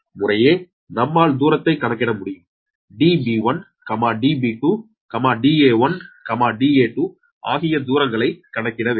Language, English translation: Tamil, distance, uh, because you have to calculate d b one, d b two, d a one, d a two, all the distances right